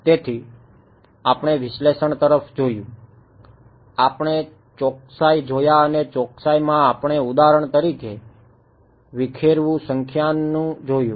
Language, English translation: Gujarati, So, we looked at analysis, we looked at accuracy and in accuracy we looked at for example, dispersion numerical